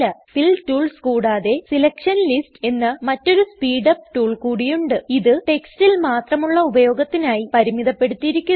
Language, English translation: Malayalam, Apart from Fill tools there is one more speed up tool called Selection lists which is limited to using only text